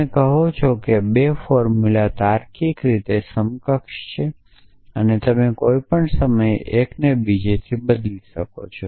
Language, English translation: Gujarati, You say that two formulas are logically equivalent and therefore, you can substitute one for other at any point of time essentially